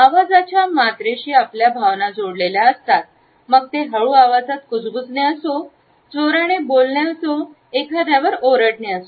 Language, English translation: Marathi, The volume of voice shows our feelings if it is a whisper or a loud voice or are we shouting